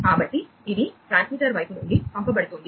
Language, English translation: Telugu, So, it is being sent from the transmitter side